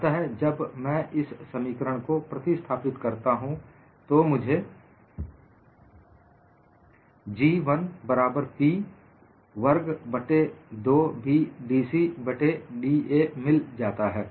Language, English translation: Hindi, So, when I substitute it in this expression, I get the final expression as G 1 equal to P square by 2B dC by da